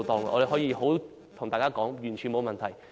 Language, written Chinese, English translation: Cantonese, 我可以告訴大家，完全沒有問題。, I can tell Members that there was no problem at all